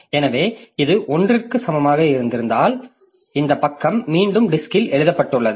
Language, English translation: Tamil, So, if it is, it was equal to 1 and now, so the, it was equal to 1, now this page is written back onto the disk